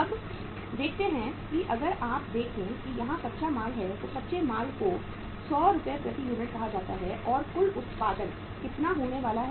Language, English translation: Hindi, Now let us see back uh if you if you see here uh raw material is raw material is say 100 Rs per unit and how much is going to be the total production